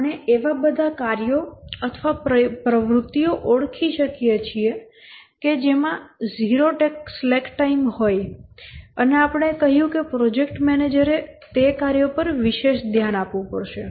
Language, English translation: Gujarati, We identified all tasks or activities that have zero slack time and we said that the project manager has to pay special attention to those tasks